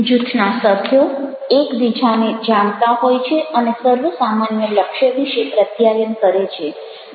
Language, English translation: Gujarati, group members are aware of one another and communicate about the common [glo/goal] goal